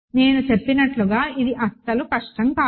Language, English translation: Telugu, So, this is as I said not difficult at all